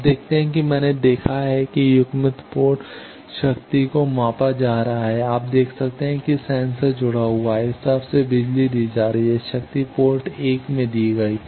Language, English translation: Hindi, You see, I have seen in the coupled port power is getting measured you see the sensor is connected here power is being fed from this side; power is given at port 1